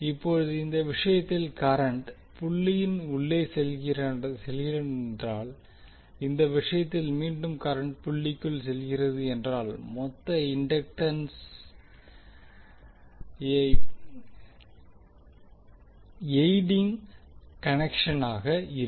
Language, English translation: Tamil, Now in this case if the current is going inside the dot and in this case again the current is going inside the dot the total inductance will be the adding connection